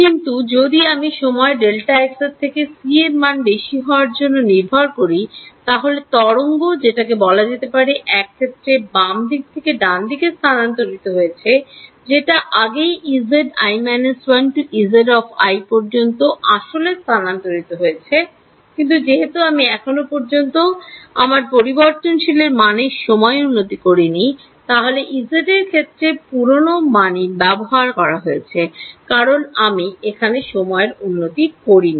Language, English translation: Bengali, But if I wait for a time greater than delta x by c then the wave has which is let us say in one case travelling from left to right the wave has already travelled from E z i minus 1 to E z i has physically travelled, but I did not since I have not yet done a time update my variable still contained the old value in the location of E z i it still has an old value because I have not done the time update